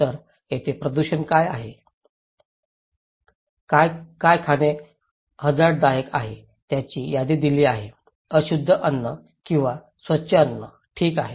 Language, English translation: Marathi, So, here what is polluted, what is dangerous to eat are given the list; unclean food and clean food, okay